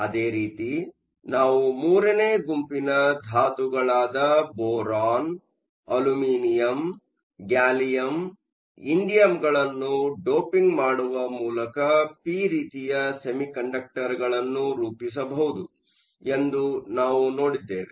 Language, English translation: Kannada, Similarly, we saw that we could form p type by doping with group 3 – Boron, Aluminum, Gallium, Indium